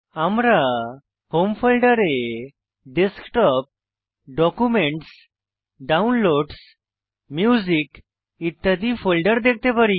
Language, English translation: Bengali, In our Home folder, we can see other folders such as Desktop, Documents, Downloads, Music,etc